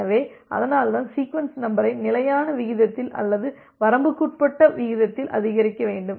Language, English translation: Tamil, So, that is why the sequence number need to be increased at a constant rate or at a bounded rate